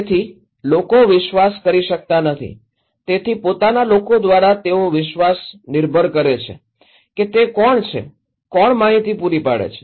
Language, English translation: Gujarati, So, people cannot trust, so by own people trust depends on who are the, who is providing the information